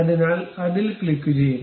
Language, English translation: Malayalam, So, click that and ok